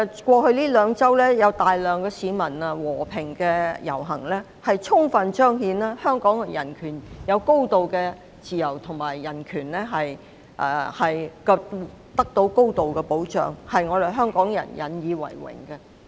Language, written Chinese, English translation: Cantonese, 過去兩周有大批市民和平遊行，充分彰顯香港人擁有高度自由，而人權亦得到高度保障，令香港人引以為榮。, In the past two weeks large crowds of people marched peacefully in a vivid demonstration of the high degree of freedom enjoyed by Hong Kong people and the high degree of protection afforded to their human rights in which Hongkongers take pride